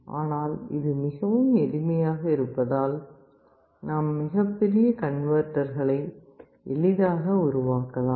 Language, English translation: Tamil, But it is very simple we can built very large converters